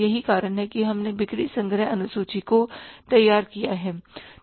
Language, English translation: Hindi, That's why we have prepared the sales collection schedule